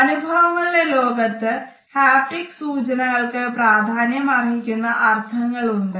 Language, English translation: Malayalam, So, haptic symbols have significant meanings in the world of experience